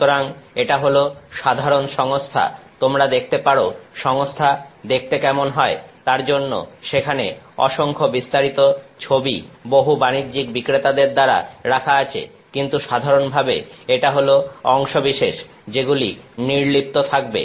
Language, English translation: Bengali, So, this is the general system you can look at there are lot of detail images put by various commercial vendors of how their system looks, but in general this is the set of parts that is involved